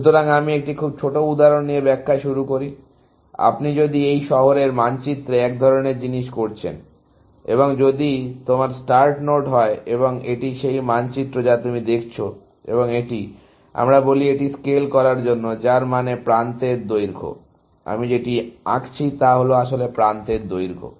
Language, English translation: Bengali, So, let me illustrate that with a very small example, that if you are doing this city map kind of a thing, and if this is your start node and this is the map that you are looking at, and this, let us say, this is to scale, which means a length of the edge, that I am drawing is actually, the length of the edge